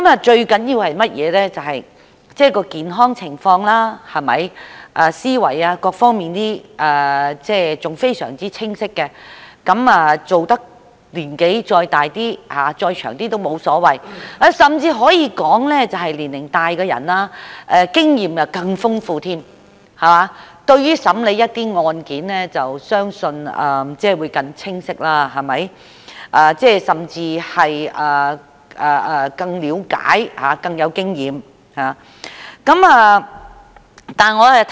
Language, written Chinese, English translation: Cantonese, 最重要的是健康情況良好、思維仍非常清晰，即使工作至年紀再大一點也沒有所謂，甚至可以說年長的人的經驗更為豐富，審理案件時相信會更清晰，能夠更了解案情，以及更有經驗。, It is most important that the person is healthy and has a sound mind and it would not be a problem even if he continues to work at an even older age . I would even say that the older people are more experienced and when they hear cases I think they can see the picture more clearly and have a better understanding of the merits of a case and also more experience to count on